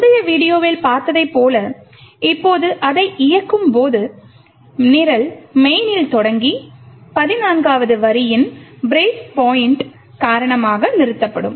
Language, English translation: Tamil, Now when we run it as we have seen in the previous video the program will execute starting from main and stop due to the break point in line number 14